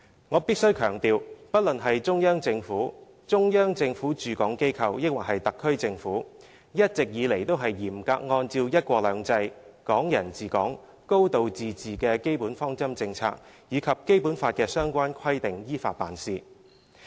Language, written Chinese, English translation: Cantonese, 我必須強調，不論是中央政府、中央政府駐港機構抑或是特區政府，一直以來都是嚴格按照"一國兩制"、"港人治港"、"高度自治"的基本方針政策，以及《基本法》的相關規定，依法辦事。, I must emphasize that the Central Government the Central Governments offices in Hong Kong and the SAR Government have been acting in strict accordance with the fundamental principles and policies of one country two systems Hong Kong people administering Hong Kong and a high degree of autonomy as well as the provisions of the Basic Law to administering Hong Kong in accordance with law